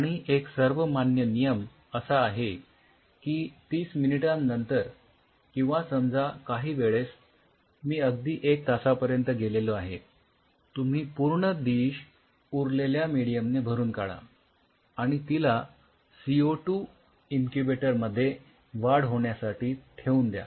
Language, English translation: Marathi, And the thumb rule is after 30 minutes or sometime even I have gone up to one hour you then fill the whole dish with rest of the medium and put it in the CO 2 incubator for growth